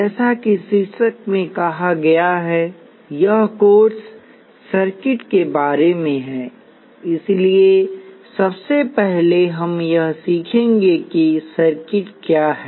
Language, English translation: Hindi, As the title says, this course is about circuits, so the first thing we will do is to learn what circuits are all about